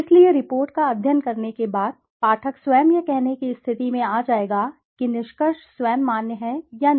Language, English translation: Hindi, So, the reader himself after studying the report would come to a position to say whether the conclusion are valid it itself or not